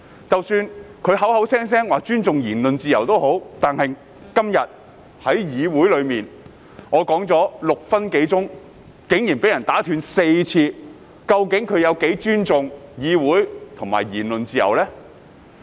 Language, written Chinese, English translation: Cantonese, 即使他們口口聲聲說尊重言論自由，但今天在議會內，我發言的6分鐘內，竟然4次被打斷，那麼他們究竟有多尊重議會和言論自由呢？, All these are merely stalling tactics . They claim that they respect the freedom of speech but my speech has been interrupted four times in six minutes in the Council today . So how much do they actually respect the Council and the freedom of speech?